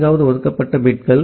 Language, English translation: Tamil, And the fourth is the reserved bits